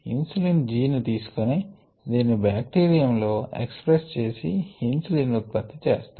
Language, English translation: Telugu, they took the insulin gene and express it in bacterium and produceinsulin